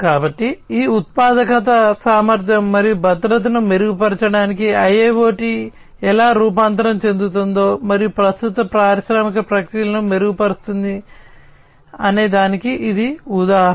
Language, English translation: Telugu, So, this is the example of how IIoT can transform, and improve upon the existing industrial processes for improving the productivity and efficiency and safety, as well